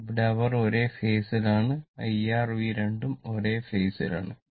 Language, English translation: Malayalam, Here, they are in the same phase both I R and V both are in the same phase right